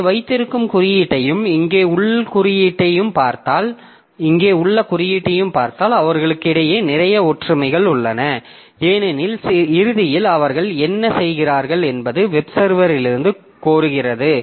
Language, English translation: Tamil, So, if you look into the code that you have here and the code that you have here and the code that you have here, so there are lots of similarities between them because ultimately what they are doing is requesting for some service from the web server